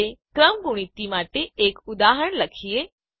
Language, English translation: Gujarati, Okay, let us now write an example for Factorial